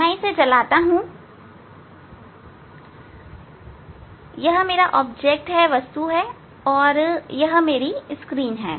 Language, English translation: Hindi, this is my object, and this is my screen